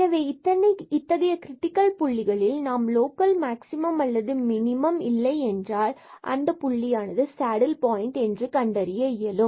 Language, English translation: Tamil, So, at these critical points we will identify if there is no local maximum and minimum that point will be called as the saddle point